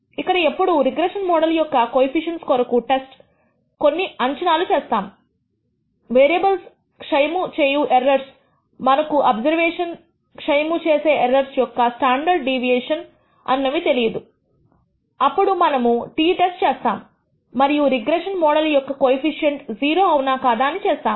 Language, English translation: Telugu, Here also we whenever we test for the coe cients of the regression model under the assumption that the errors corrupting the variables, we do not have an idea the way a standard deviation of the errors that corrupt the observations are un known, then we use the t test and of to test whether the coe cient of regression model is equal to 0 or not